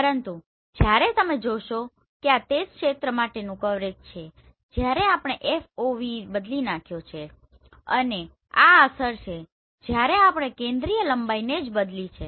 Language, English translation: Gujarati, But whereas if you see this is the coverage for the same area when we have changed the FOV and this is the effect when we have changed the focal length right